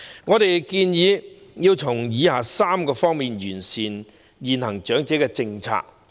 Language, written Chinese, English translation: Cantonese, 我們建議政府從以下3方面完善現行長者政策。, We propose that the Government perfect the existing elderly policy in the following three aspects